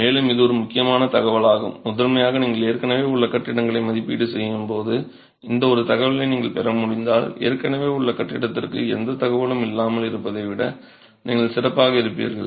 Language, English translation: Tamil, And this is an important information primarily because when you are doing assessment of existing buildings, if you can get this one information, you are better place than having no information for an existing building